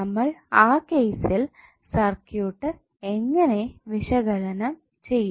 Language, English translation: Malayalam, In that case how we will analyze the circuit